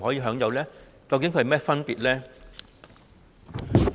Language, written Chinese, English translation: Cantonese, 兩者究竟有何分別？, What exactly are the differences between the two?